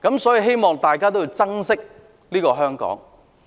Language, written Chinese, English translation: Cantonese, 所以，希望大家能夠珍惜香港。, Hence I hope we will treasure Hong Kong